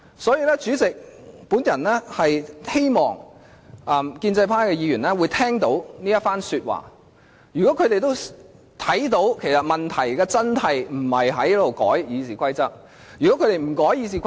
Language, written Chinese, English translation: Cantonese, 因此，主席，我希望建制派的議員聽到我的發言，會明白問題的關鍵不在於修改《議事規則》。, Hence President I hope Members from the pro - establishment camp can understand from my speech that the crux of the problem is not the amendment to the RoP